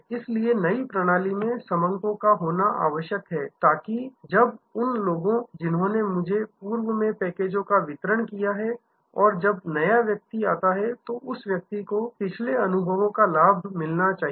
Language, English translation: Hindi, So, there must be data in the system that when people have delivered packages are earlier to me and now, new person comes that person should get that advantage of the previous experience